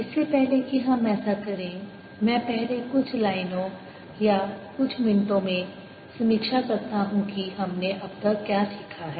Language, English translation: Hindi, before we do that, let me first review, just in a few lines or a couple of minutes, what we have learnt so far